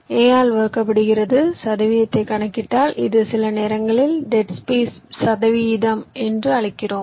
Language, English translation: Tamil, if you calculate the percentage this sometimes you call it as dead space percentage